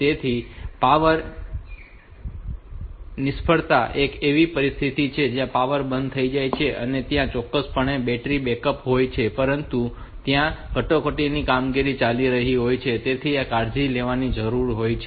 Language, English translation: Gujarati, So, power failure is a situation where if the power goes off so there is definitely batter backup, but the emergency operations that are going on there we need to take care log of that